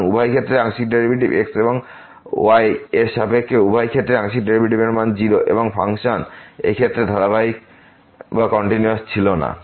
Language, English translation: Bengali, So, both the partial derivatives with respect to and with respect to exist the value of the partial derivatives in both the cases are 0 and the function was are not continuous in this case